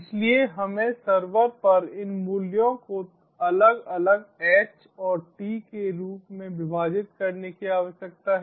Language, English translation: Hindi, so we need to split these values on the server in the form of individual h and t s